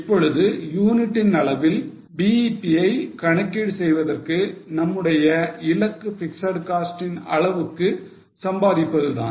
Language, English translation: Tamil, Now for calculating BEP in unit terms, our target is to earn fixed cost